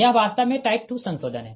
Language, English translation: Hindi, this is also type two modification